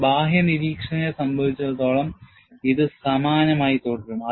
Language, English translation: Malayalam, For a external observer, it will remain identical